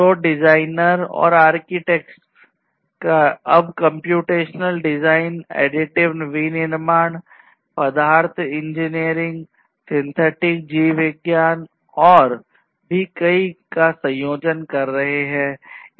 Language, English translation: Hindi, So, designers and architects are, now, combining, computational design, additive manufacturing, material engineering, synthetic biology and so on